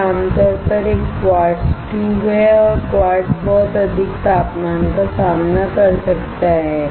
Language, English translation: Hindi, This is generally a quartz tube and quartz can withstand very high temperature